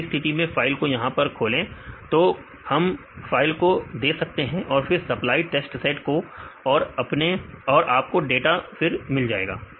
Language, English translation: Hindi, So, in this case open file here; so we can give the file and then the supplied test set, you can get the data